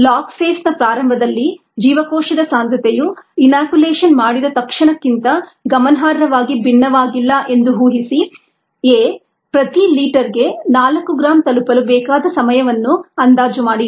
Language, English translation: Kannada, under these conditions, assuming that the cell concentration at the start of the log phase was not significantly different from that immediately after inoculation, a estimated the time needed for it to reach four gram per litre